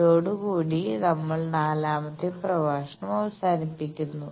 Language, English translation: Malayalam, So, by this we conclude the 4th lecture